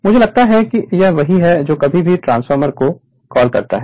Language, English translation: Hindi, If we think it as a you are what you call to any transformer